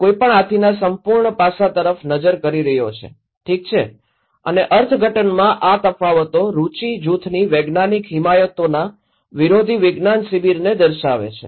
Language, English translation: Gujarati, No one is looking at the entire aspect of the elephant, okay and these differences in interpretations reflect adversarial science camps results from scientific advocacies within interest group